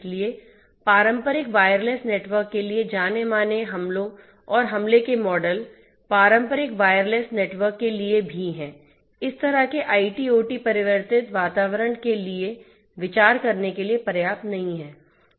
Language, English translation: Hindi, So, the well known attacks and attack models that are there for traditional networks, for traditional wire less networks are also not sufficient to be considered for this kind of IT OT converged environment